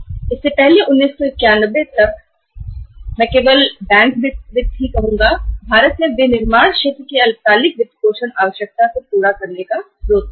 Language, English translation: Hindi, So earlier till 1991 I would say only bank finance was the only source of fulfilling the short term funding requirement of the manufacturing sector in India